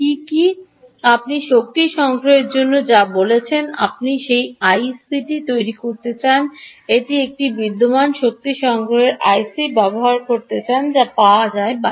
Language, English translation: Bengali, if your talking of energy harvesting i c ah which you want to build, you want to be used an existing energy harvesting i c ah which is available out in the market